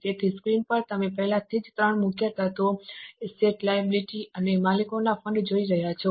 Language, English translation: Gujarati, So, already on the screen you are seeing three major elements, assets, liabilities and owners funds